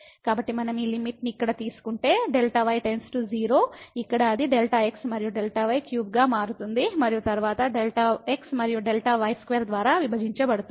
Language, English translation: Telugu, So, if we take this limit here delta goes to 0 here it will become delta and delta cube from here and then divided by delta and delta square minus